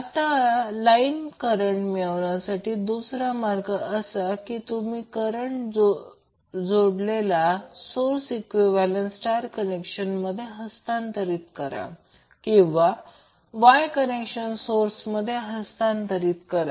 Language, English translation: Marathi, Now another way to obtain the line current is that you replace the delta connected source into its equivalent star connected or Y connected source